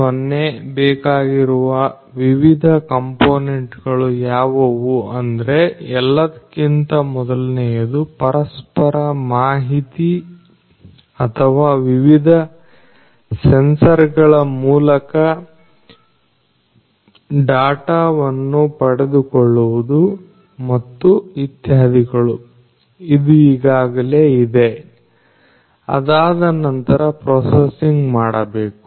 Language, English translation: Kannada, What is required are different components first of all inter information or data acquisition through the help of different sensors and so on which is already there , but after that the processing has to be done